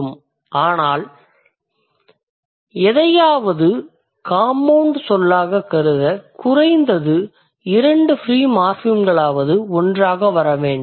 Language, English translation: Tamil, But otherwise to be considered to consider something as a compound word you must see at least two free morphims coming together